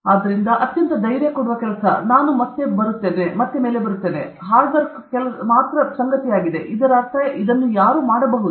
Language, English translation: Kannada, So, the most reassuring, I come again is, hard work alone matters, which means any one can do it